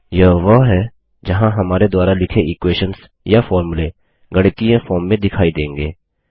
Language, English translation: Hindi, This is where the equations or the formulae we write will appear in the mathematical form